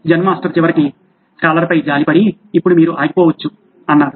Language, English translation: Telugu, Zen Master finally took pity on scholar and said now you may stop